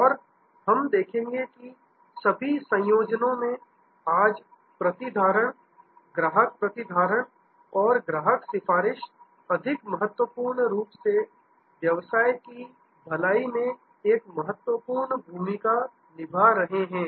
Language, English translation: Hindi, And we will see that in all combinations, retention today, customer retention and more importantly customer advocacy plays a crucial part in the well being of the business